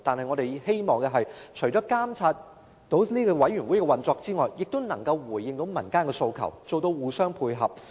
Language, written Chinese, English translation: Cantonese, 我們身為立法會議員，除了監察委員會的運作外，亦應回應民間的訴求，互相配合。, As Members of the Legislative Council apart from monitoring the functioning of committees we ought to address aspirations of the community so that we can complement each other